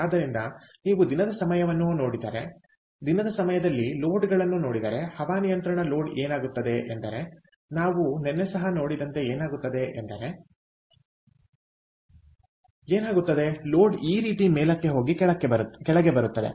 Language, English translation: Kannada, so if you look at the time of the day, if you look at the load of the air conditioning load during the time of the day, what happens is, as we saw even yesterday also, what happens is the load goes up like this and comes down